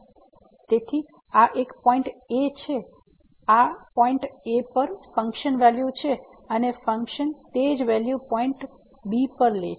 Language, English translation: Gujarati, So, this is the point at so, the function value at this point is here and the same value the function is taking at b